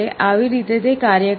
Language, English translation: Gujarati, This is how it works